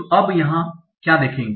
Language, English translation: Hindi, So what we will see here